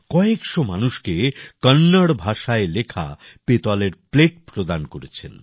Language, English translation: Bengali, He has also presented brass plates written in Kannada to hundreds of people